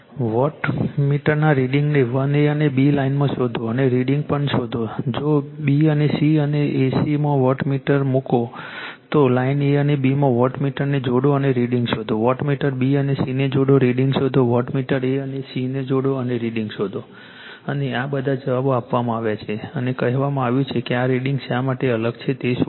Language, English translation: Gujarati, Find the readings of wattmeter in lines 1 a and b and the readings also , if, you put wattmeter in b and c and a c having , you connect the wattmeter in line a and b and find out the reading; you connect the wattmeter b and c , find out the reading you connect the wattmeter a and c find out the reading and all these answers are given all the and and you you are what you call and you find out why this readings are different right